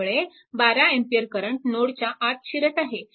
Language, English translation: Marathi, So, all current are entering into the node right